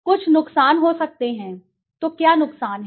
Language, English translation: Hindi, Some of the harm that can be done, so what are harms